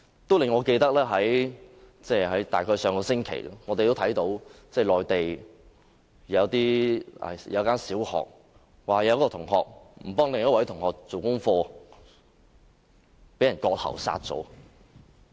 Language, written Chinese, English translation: Cantonese, 這件事令我想到，大約在上星期，內地一間小學一名學生，因為不幫助另一位學生做功課而被割喉殺死。, This reminds me of an incident happened around last week in which a primary student was slashed by the throat and died because he refused to help another classmate to do his homework